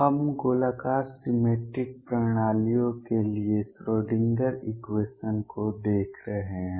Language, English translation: Hindi, We been looking at the Schrodinger equation for spherically symmetric systems